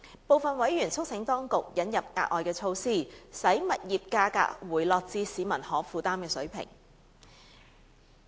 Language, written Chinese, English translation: Cantonese, 部分委員促請當局引入額外措施，使物業價格回落至市民可負擔水平。, Some members urged the authorities to introduce additional measures to bring the property price to a level that was affordable to the general public